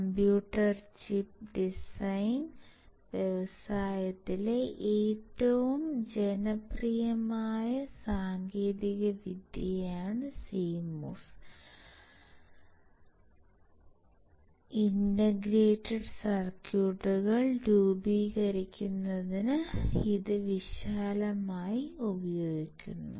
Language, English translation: Malayalam, CMOS technology is one of the most popular technology in the computer chip design industry, and broadly used today to form integrated circuits